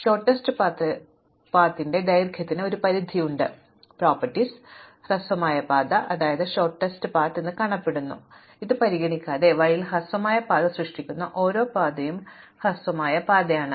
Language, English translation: Malayalam, So, there is a bound on the length of the shortest path, the other property is that regardless of how the shortest path looks, along the way every path that makes up the shortest path is itself the shortest path